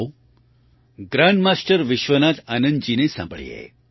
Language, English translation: Gujarati, Come, listen to Grandmaster Vishwanathan Anand ji